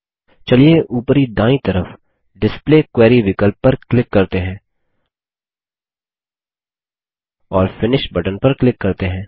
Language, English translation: Hindi, Let us click on the Display Query option on the top right side and click on the Finish button